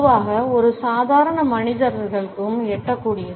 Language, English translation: Tamil, Normally it is within reach of common man